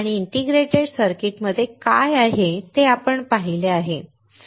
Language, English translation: Marathi, And we have seen what is inside the integrated circuit